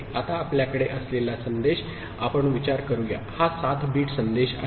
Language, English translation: Marathi, Now the message that we are having, let us consider, it is a 7 bit message